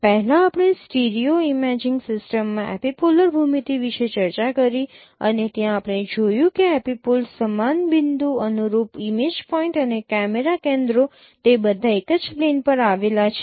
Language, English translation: Gujarati, First we discussed epipolar geometry in a stereo imaging system and there we have seen that epipoles, scene point, corresponding image points and camera centers all of them lie on the same plane